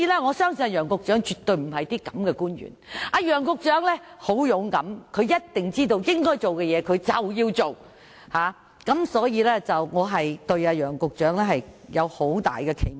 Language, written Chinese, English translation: Cantonese, 我相信楊局長絕不是這種官員，楊局長很勇敢，他一定知道應做的事便要做，所以我對楊局長有很大期望。, I trust Secretary Nicholas YANG is not an official of such mentality . He is bold and he definitely knows what should be done has to be done . Hence I hold high hopes for Secretary Nicholas YANG